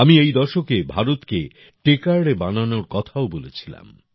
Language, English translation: Bengali, I had also talked about making this decade the Techade of India